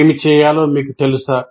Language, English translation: Telugu, Do you know what is to be done